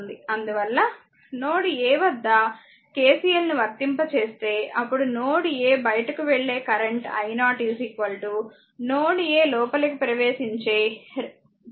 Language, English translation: Telugu, Therefore, if you apply KCL at your what you call at ah node a , then your i 0 that is the outgoing current i 0 is out going current is equal to 2 currents are incoming